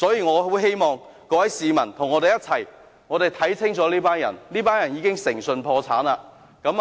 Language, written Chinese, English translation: Cantonese, 我很希望各位市民與我們一起認清這群人，這群人已誠信破產。, I very much hope that members of the public can join us and see through these people who are bankrupt of integrity